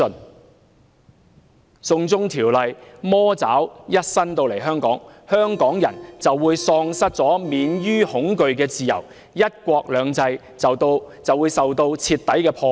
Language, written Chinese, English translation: Cantonese, 當"送中條例"的魔爪伸到香港時，香港人便會喪失免於恐懼的自由，"一國兩制"會被徹底破壞。, When the devils claw of the China extradition law extends to Hong Kong the people of Hong Kong will lose the freedom from fear whereas one country two systems will be wrecked